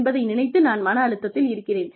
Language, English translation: Tamil, Which means that, you are under stress